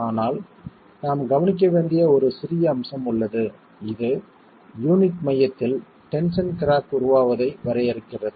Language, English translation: Tamil, But we have one little aspect to be taken care of which is we are defining the formation of the tension crack at the center of the unit